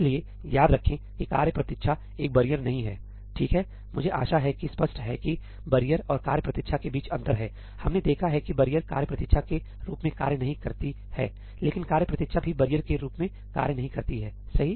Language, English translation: Hindi, So, remember that task wait is not a barrier, right, I hope that is clear there is a difference between barrier and task wait we have seen that barrier does not function as a task wait, but task wait also does not function as a barrier, right